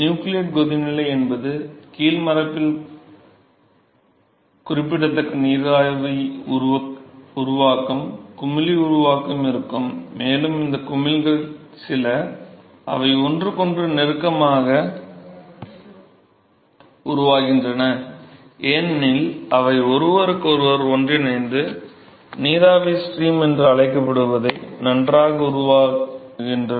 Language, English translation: Tamil, Nucleate boiling is that there will be significant vapor formation bubble formation at the bottom surface, and some of these bubbles, because they are formed close to each other they are going to coalesce with each other and they well form what is called vapor stream